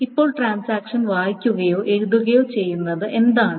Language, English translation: Malayalam, Now what does a transaction read or write